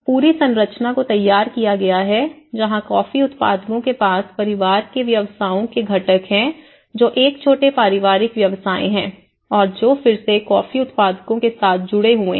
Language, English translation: Hindi, And the whole structure has been framed where the coffee growers they have the constituents of family businesses a small family businesses and which are again linked with the coffee growers local communities